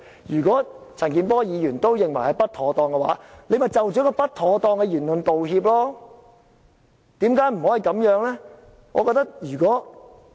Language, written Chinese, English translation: Cantonese, 如果陳健波議員也認為不妥當的話，何君堯議員可以就不妥當的言論道歉，為何不可以這樣呢？, But if even Mr CHAN Kin - por finds his remarks inappropriate Dr Junius HO should better apologize for his inappropriate remarks . Why does he not do so?